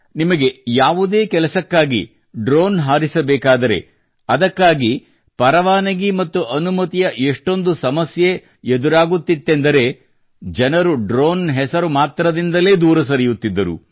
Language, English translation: Kannada, If you have to fly a drone for any work, then there was such a hassle of license and permission that people would give up on the mere mention of the name of drone